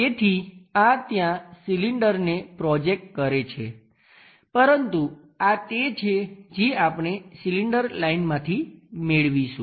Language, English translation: Gujarati, So, this one projected to the cylinder there, but this one from the cylinder line what we are going to get